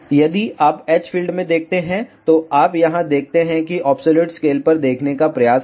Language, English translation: Hindi, If you see in h field, you see here just try to see absolute scale